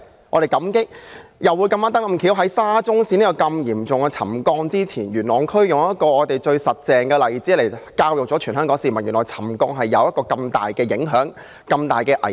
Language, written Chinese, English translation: Cantonese, 我們感激的是，發現沙中線嚴重沉降事件之前，元朗區剛巧有一個最真實的例子教育全香港市民，原來沉降有這麼大的影響和危險。, We are grateful that before the incident of serious settlement concerning the Shatin to Central Link SCL was uncovered it happened that there was a most practical example in Yuen Long District teaching all the people of Hong Kong that settlement could pose such a great impact and danger . I wish to give some responses as the start